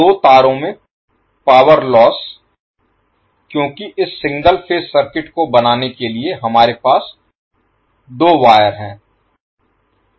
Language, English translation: Hindi, The power loss in two wires because we are having 2 wires to create this single phase circuit